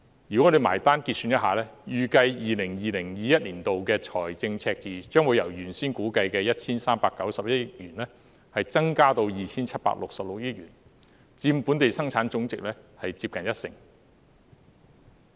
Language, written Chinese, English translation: Cantonese, 如果我們結算一下，預計 2020-2021 年度的財政赤字將會由原先估計的 1,391 億元，增至 2,766 億元，佔本地生產總值接近一成。, After calculation it is estimated that the fiscal deficit in 2020 - 2021 will increase from the original forecast of 139.1 billion to 276.6 accounting for nearly 10 % of the Gross Domestic Product